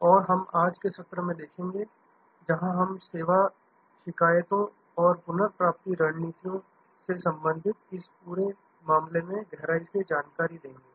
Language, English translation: Hindi, And we will see from today’s session, where we will delve deeper into this whole affair relating to Service Complaints and Recovery Strategies